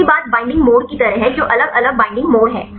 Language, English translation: Hindi, The second thing is the binding mode like what is different binding mode